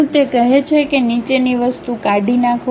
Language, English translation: Gujarati, It says that Delete the following item